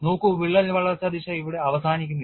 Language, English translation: Malayalam, See the crack growth direction does not stop here